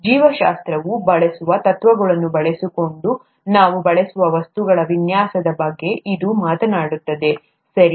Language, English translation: Kannada, This talks about design of things that we use, using principles that biology uses, okay